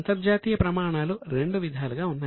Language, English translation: Telugu, There are two sets of international standards